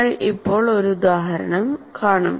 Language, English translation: Malayalam, We'll presently see an example